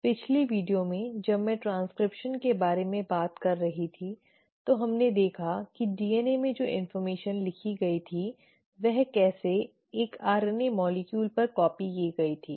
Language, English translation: Hindi, Now in the last video when I was talking about transcription we saw how the information which was written in DNA was copied onto an RNA molecule